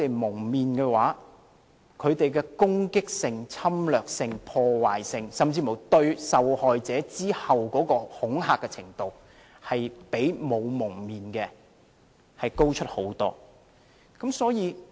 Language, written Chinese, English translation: Cantonese, 蒙了面後，他們的攻擊性、侵略性、破壞力，甚至對受害者的恐嚇程度，比沒有蒙面的高出很多。, When masked their offensiveness aggressiveness destructiveness and even the level of intimidation to the victims were way higher than not being masked